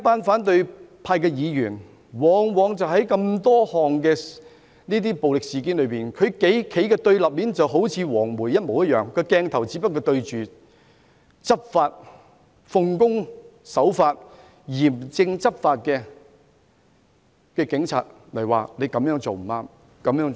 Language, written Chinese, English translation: Cantonese, 反對派議員在眾多暴力事件中，就好像"黃媒"一樣，鏡頭只對着奉公守法、嚴正執法的警員，說他們這樣做不對。, Regarding the numerous violent incidents opposition Members have acted like yellow media organizations focusing only on law - abiding police officers who have taken stern law enforcement actions and accusing them of acting wrongly